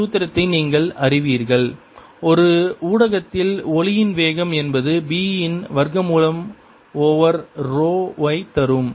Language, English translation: Tamil, you know the formula that velocity of sound in a medium is square root of d over row